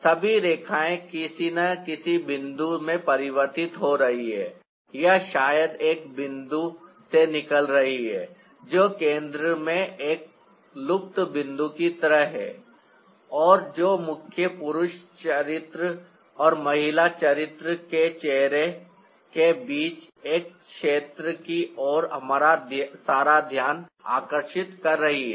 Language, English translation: Hindi, all the lines are somehow converging into a point, or perhaps coming out from a point which is like a vanishing point right at the centre, and that is drawing all our attention towards one area between the face of the main male character and female character